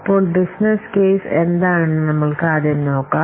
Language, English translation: Malayalam, So let's see first what a business case is